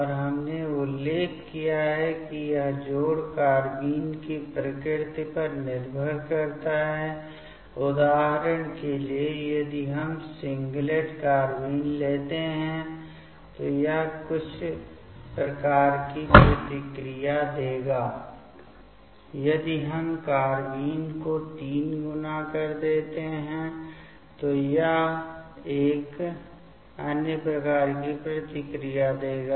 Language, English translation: Hindi, And we have mentioned this addition is depending on the nature of the carbenes as per example if we take singlet carbene, it will give certain type of reactions; if it triplet carbene, it will give another type of reactions